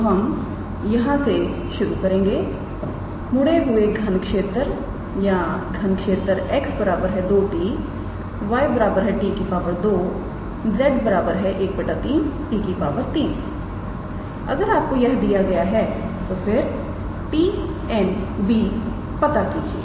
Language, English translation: Hindi, So, we will start with for the twisted cube or cubic x equals to 2 t y equals to t square and z equals to 1 by 3 t cube, if you are given these then find t n b